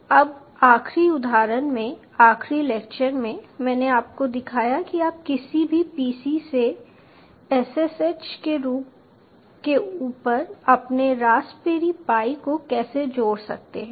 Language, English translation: Hindi, now, in the last example, ah, in the last lecture, i showed you how to connect your raspberry pi over ss edge from any pc